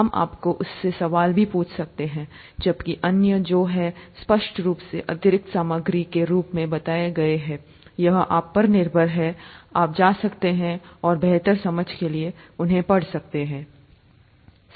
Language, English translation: Hindi, We may even ask you questions from that; whereas the others that are clearly pointed out as additional material, it is upto you, you can go and read them up for better understanding and so on so forth